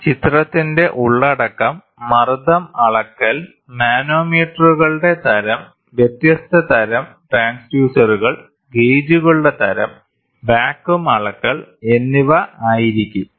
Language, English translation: Malayalam, The content of this picture is going to be pressure measurement, type of manometers, different types of transducers, type of gauges and measurement of vacuum